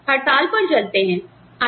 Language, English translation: Hindi, Let us all, go on strike